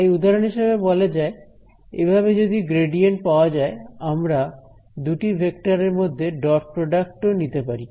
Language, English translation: Bengali, So, for example, of course, we know that the gradient is that so, I can take the dot product between two vectors